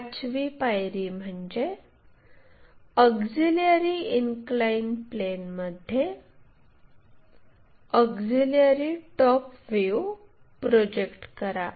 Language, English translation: Marathi, Then project auxiliary top view onto auxiliary inclined plane